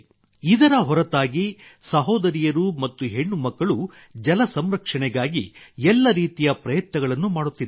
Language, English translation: Kannada, Apart from this, sisters and daughters are making allout efforts for water conservation